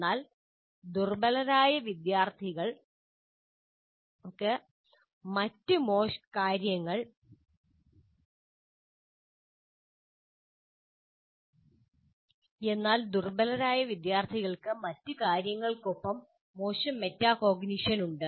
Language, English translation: Malayalam, But weaker students typically have poor metacognition besides other things